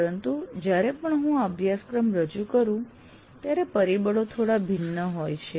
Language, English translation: Gujarati, But what happens is every time I offer this course, the context slightly becomes different